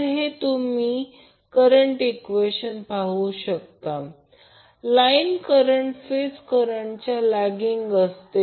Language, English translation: Marathi, So this you can see from the current expressions that the line current is lagging the phase current by 30 degree